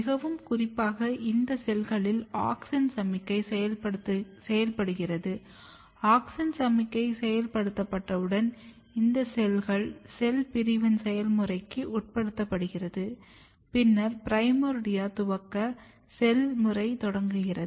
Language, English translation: Tamil, So, basically this auxin or auxin signalling is getting activated very specifically in these cells once auxin signalling is activated this cells start undergoing the process of cell division there is cell division here, and then the process of primordia initiations begins